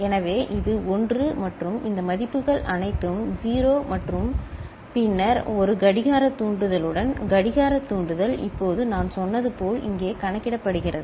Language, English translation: Tamil, So, this is 1 and all these values are 0 and then with one clock trigger clock trigger is getting now counted here as I said